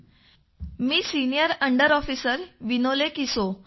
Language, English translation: Marathi, This is senior under Officer Vinole Kiso